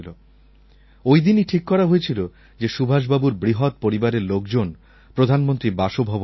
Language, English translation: Bengali, That day I decided to invite his great family to the Prime Minister's residence